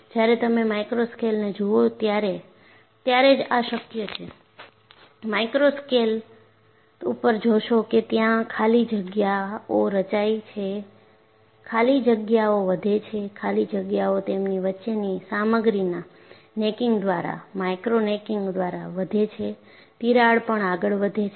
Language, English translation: Gujarati, This is possible only when you look at the micro scale; at the micro scale, you find voids are formed, the voids grow; the voids grow by, necking of the material in between to them, by micro necking and the crack proceeds